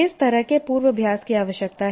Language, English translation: Hindi, What kind of rehearsal is required